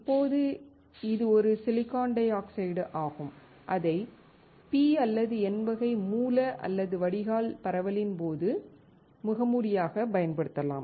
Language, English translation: Tamil, Now, this is a silicon dioxide that that you can use the mask during the doping of P or N type source or drain